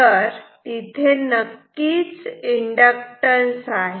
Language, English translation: Marathi, Is there no inductance